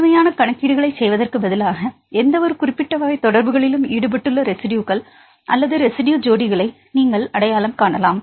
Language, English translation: Tamil, Instead of doing the complete calculations you can identify the residues or residue pairs which are involved in any specific type of interactions